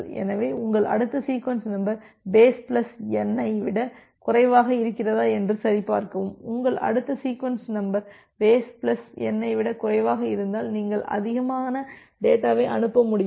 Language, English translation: Tamil, So, you check whether your next sequence number is less than base plus N, if your next sequence number is less than base plus N; that means, you are able to send more data